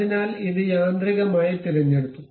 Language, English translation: Malayalam, So, it is automatically selected